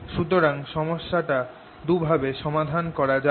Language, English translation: Bengali, let us solve the problem in both ways